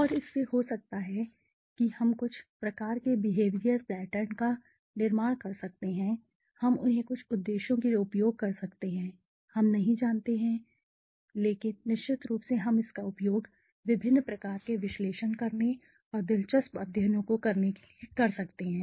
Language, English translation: Hindi, And may be from that we can may be create some kind of behavioral pattern some kind of you know we can use them for certain purposes right we do not know we but for sure we can use it for doing different kinds of analysis and studies interesting studies okay